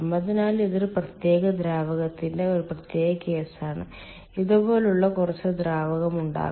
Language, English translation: Malayalam, so this is a special case of a fluid, of a particular fluid